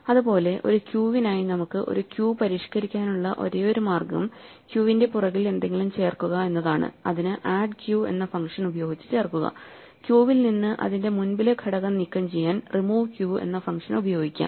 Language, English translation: Malayalam, Likewise, for a queue the only way we can modify a queue is to add something to the tail of the queue using the function add q and remove the element at the head of the queue using the function remove q